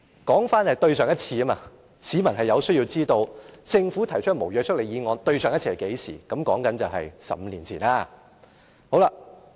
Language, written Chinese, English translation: Cantonese, 說回上一次，市民有需要知道政府上次提出無約束力議案是何時，便是15年前。, I am talking about the last time . I think the public need to know when was the last time that the Government moved a motion with no legislative effect . It was 15 years ago